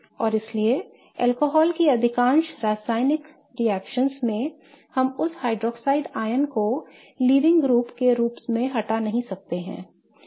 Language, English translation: Hindi, And so, in most chemical reactions of alcohols, we cannot kick off that hydroxide ion as a leaving group